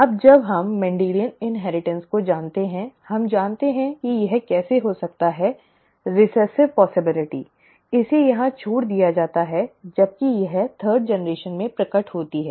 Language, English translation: Hindi, Now that we know Mendelian inheritance, we know how this can happen, the recessive possibility it is skipped here whereas it is manifested in the third generation